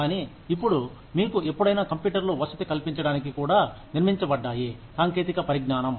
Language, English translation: Telugu, But, now, do you ever, are computers, even being built to accommodate, that kind of technology